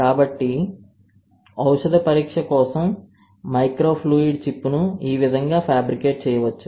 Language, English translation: Telugu, So, this is how the microfluidic chip can be fabricated for drug screening